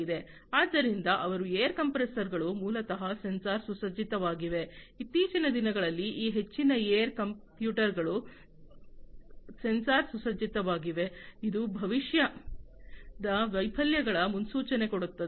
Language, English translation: Kannada, So, their air compressors are basically sensor equipped, nowadays, most many of these air compressors are sensor equipped, which is in the prediction of future failures